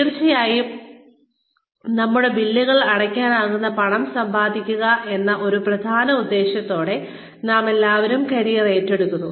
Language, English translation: Malayalam, We all take up careers, with of course, one main intention of earning money, that can pay our bills